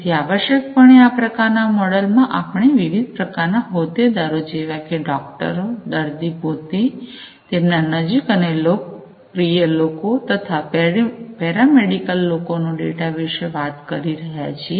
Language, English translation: Gujarati, So, essentially in this kind of model, we are talking about utilization of the data by different stakeholders like the doctors, the patients themselves, the you know the near and dear ones of the patients, the paramedics and so on